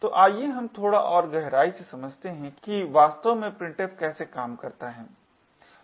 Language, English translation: Hindi, So, let us dig a little deeper about how printf actually works